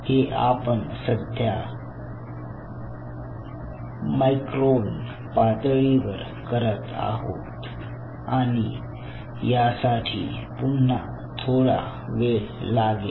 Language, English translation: Marathi, we you are doing at a micron level and these are still